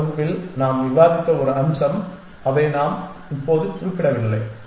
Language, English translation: Tamil, One more aspect that we discussed in the last class we have not mentioned it now is has to so